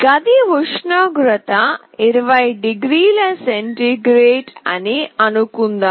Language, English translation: Telugu, Suppose, the room temperature is 20 degree centigrade